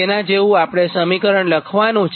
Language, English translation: Gujarati, i can write this equation